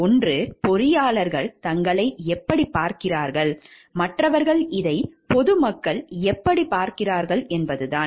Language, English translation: Tamil, One is how engineers view themselves, and the others is how the public at large view this them